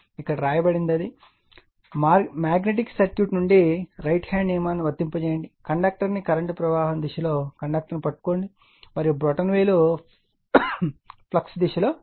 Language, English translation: Telugu, That is what has been written here you apply the, right hand rule from a magnetic circuit, you grab the conductor in the direction of the flow of the current and your term will be the direction of the flux, right